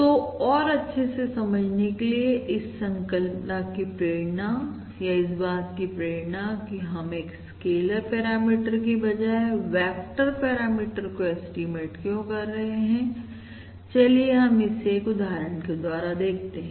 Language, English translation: Hindi, So, to understand this better I mean to understand, to motivate this concept or to motivate why we need to estimate a vector parameter rather than a scaler parameter let us try to look at it from the perspective of an example